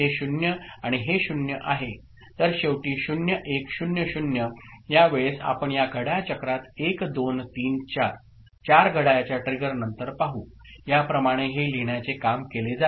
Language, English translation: Marathi, So, ultimately 0 1 0 0 at this time point we shall see in this clock cycle after 1 2 3 4 4 clock trigger that is how the writing is done